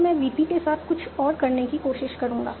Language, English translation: Hindi, So I will try out something else with VP